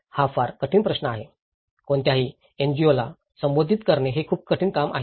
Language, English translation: Marathi, This is very difficult question; this is very difficult task for any NGO to address it